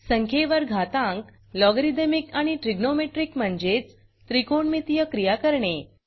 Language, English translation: Marathi, How to Perform exponential, logarithmic and trigonometric operations on numbers